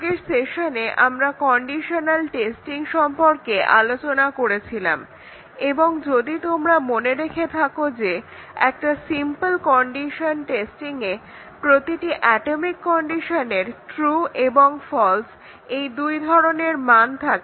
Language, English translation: Bengali, In the last session, we were looking at condition testing and if you remember that a simple condition testing, each atomic condition is made to have both true and false values